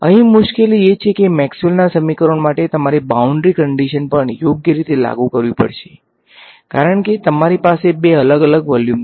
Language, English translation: Gujarati, The trouble over here is that Maxwell’s equations have to you also have to impose boundary conditions right, because you have two different volumes right